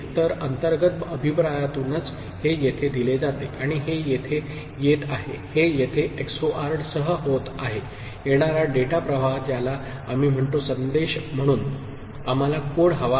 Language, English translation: Marathi, So, this is through internal feedback this is fed here and this one that is coming over here that is getting XORed with the incoming data stream which we call as say, message which we want to code